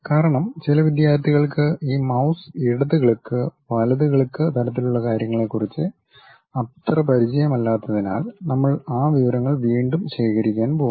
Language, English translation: Malayalam, ah Because uh some of the students are not pretty familiar with this mouse left click, right click kind of thing, so we are going to recap those information